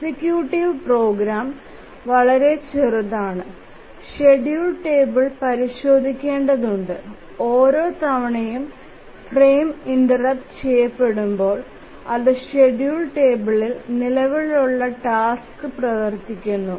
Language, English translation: Malayalam, The executive program is very small, just needs to consult the schedule table and each time it gets a frame interrupt, it just runs the task that is there on the schedule table